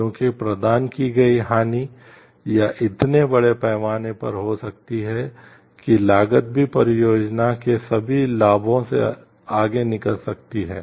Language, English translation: Hindi, Because the harm provided or could be so large scale that even the cost could outweigh all the benefits of the project